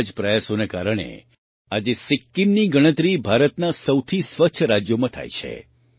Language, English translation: Gujarati, Due to such efforts, today Sikkim is counted among the cleanest states of India